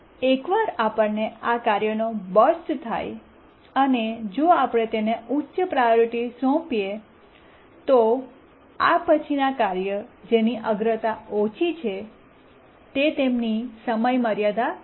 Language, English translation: Gujarati, And once we get bursts of this task, if we assign, we have assigned higher priority to these tasks, then the tasks that are lower than this priority would miss deadlines